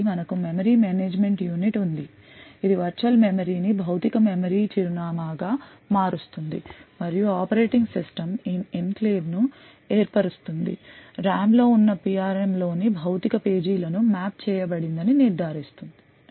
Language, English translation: Telugu, So, we have the memory management unit which converts the virtual memory to the physical memory address and the operating system would ensure that addresses form this enclave gets mapped to physical pages within the PRM present in the RAM